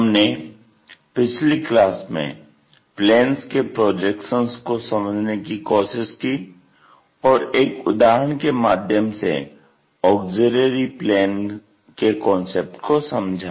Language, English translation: Hindi, In the last class, we try to look at projection of planes and had an idea about auxiliary planes through an example